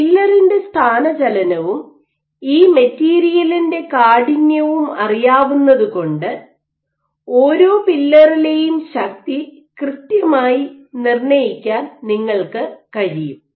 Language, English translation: Malayalam, So, because you know the pillar displacement and if you know the stiffness material of this material then you can I exactly determine the force at each pillar